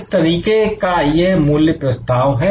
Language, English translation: Hindi, What kind of value proposition